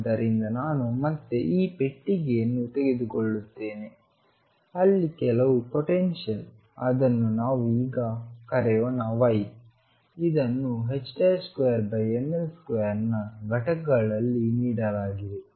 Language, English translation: Kannada, So, I have again I will take this box where in between there some potential let us call it we now y this is given in units of h cross square over m L square